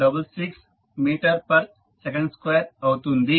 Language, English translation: Telugu, 8066 meter per second square